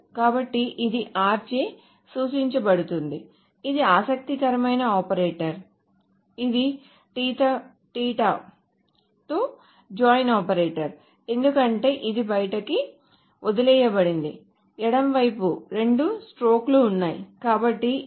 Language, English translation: Telugu, This is an interesting operator, this is the join operator with theta because this is left outer, there are two strokes on the left